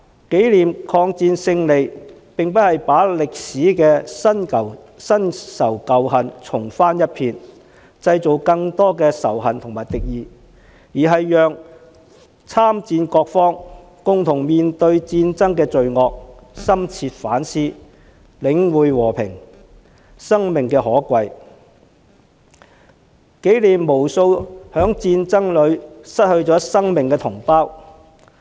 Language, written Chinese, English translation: Cantonese, 紀念抗戰勝利，並非要把歷史的新仇舊恨重翻一遍，製造更多仇恨和敵意，而是讓參戰各方共同面對戰爭的罪惡，深切反思，領悟和平、生命的可貴，紀念無數在戰爭中失去生命的同胞。, By commemorating the war victory I do not mean to rake over old scores and new in history and incite more hatred and animosity; instead I wish that all parties involved in the war would face up to the evils of war reflect deeply and realize the value of peace and life as well as commemorate the countless compatriots who lost their lives in war